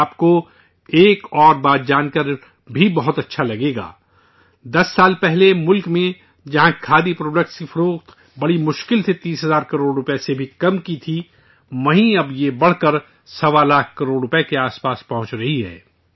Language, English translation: Urdu, You will be pleased to know of another fact that earlier in the country, whereas the sale of Khadi products could barely touch thirty thousand crore rupees; now this is rising to reach almost 1